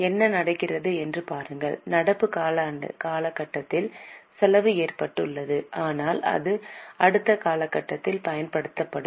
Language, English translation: Tamil, See what is happening is we have incurred the cost in the current period but it will be used in the next period